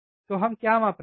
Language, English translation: Hindi, So, what are we are measuring